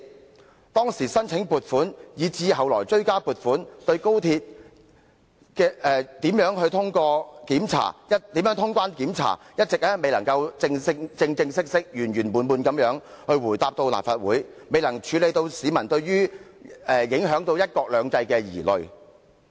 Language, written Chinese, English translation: Cantonese, 關於當時申請撥款以至後來追加撥款，以及如何通關、檢查等問題，政府一直未能正正式式及圓圓滿滿地回答立法會的質詢，亦未能釋除市民對高鐵影響"一國兩制"的疑慮。, The Government has yet to officially give thorough replies to the questions raised at this Council in respect of the original funding application as well as all additional funding applications made subsequently and the issues of clearance inspections etc . Moreover it still fails to allay the publics concern about one country two systems being undermined by the XRL project